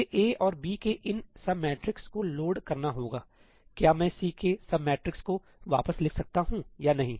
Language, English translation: Hindi, I have to load these sub matrices of A and B, can I write back the sub matrix of C or not